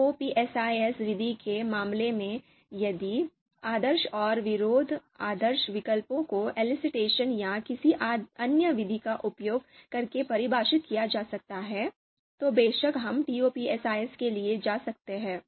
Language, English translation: Hindi, Similarly for the TOPSIS method, if ideal and anti ideal options if they can be defined using elicitation or any other method, then of course we can go for TOPSIS